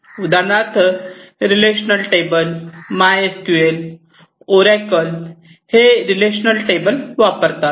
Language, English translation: Marathi, So, for example, databases like MySQL, Oracle, etcetera they use relational tables